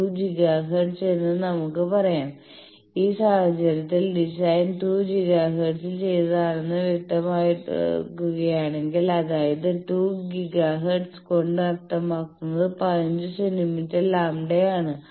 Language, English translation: Malayalam, So, 2 giga let us say, in this case if we specify that the design is done at 2 giga hertz, 2 giga hertz means it is the 15 centimetre is the lambda